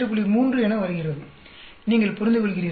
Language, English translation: Tamil, 3, you understand